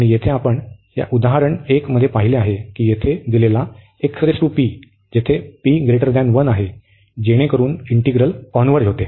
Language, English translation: Marathi, And here we have seen in this example 1 that here given x power p and p is greater than 1, so that integral converges